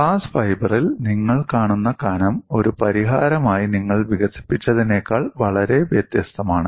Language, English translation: Malayalam, The thicknesses that you come across in glass fiber are far different than what you have developed as a solution